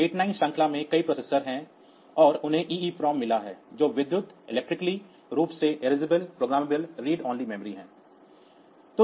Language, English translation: Hindi, So, many processors and they had got they have got e EEPROM electrically erasable programmable read only memory